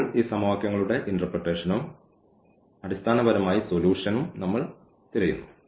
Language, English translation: Malayalam, And, now we look for the geometrical interpretation of these equations and the solution basically